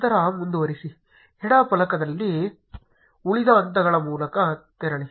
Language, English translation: Kannada, Then continue, skip through the rest of the steps on the left panel